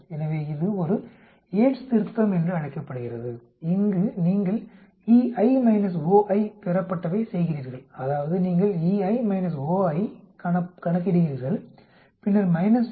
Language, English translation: Tamil, So this is called a Yate's correction, where you just do the expected minus observed, that is you calculate expected minus observed then subtract minus 0